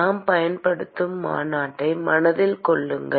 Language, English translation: Tamil, Keep in mind the convention that we use